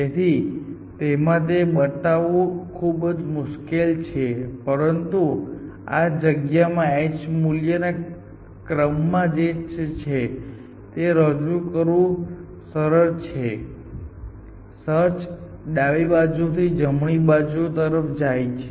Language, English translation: Gujarati, So, of course it is very difficult to visualize in this space, but in this space which is on ordered h value it is easy to visualize that the search will progress from left to right